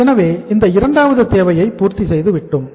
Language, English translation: Tamil, So this is the second requirement we have fulfilled